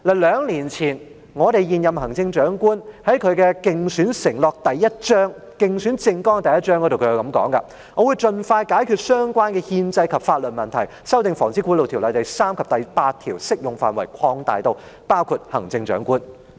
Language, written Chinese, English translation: Cantonese, 兩年前，現任行政長官在競選政綱的第1章是這樣說的："我會盡快解決相關的憲制及法律問題，修訂《防止賄賂條例》，將第3及第8條適用範圍擴大至包括行政長官"。, Two years ago the then incumbent Chief Executive said this in Chapter 1 of her Election Manifesto I shall resolve as soon as possible those constitutional and legal issues aiming at amending the Prevention of Bribery Ordinance to extend the scope of Sections 3 and 8 to cover the Chief Executive